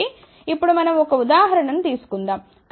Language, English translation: Telugu, So, now let us just take an example